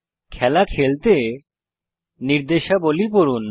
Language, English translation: Bengali, Read the instructions to play the game